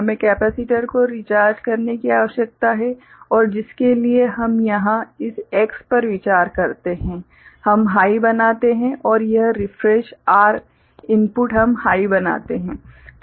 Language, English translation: Hindi, We need to recharge the capacitor, and for which what we consider here this X we make high, right and this refresh R input we make high, right